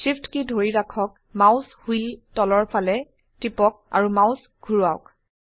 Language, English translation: Assamese, Hold SHIFT and scroll the mouse wheel downwards